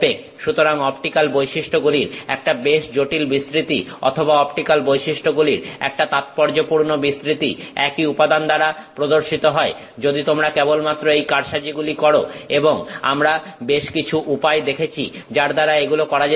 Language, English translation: Bengali, So, a pretty complex range of optical properties or a significant range of optical properties can be displayed by the same material if you simply manipulate these things and we have seen some ways in which this can be done